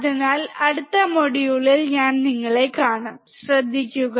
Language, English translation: Malayalam, So, I will see you in the next module, take care